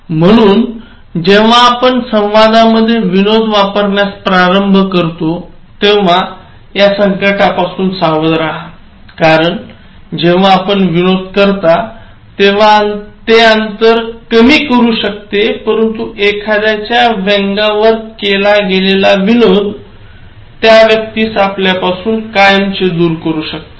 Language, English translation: Marathi, So, when you start using humour in communication, beware of these pitfalls, beware of these pitfalls because when you use a smile, as it was said before, it can reduce the distance but a sarcastic joke, can distance a person forever